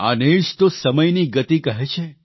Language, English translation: Gujarati, This is what is termed as the speed of time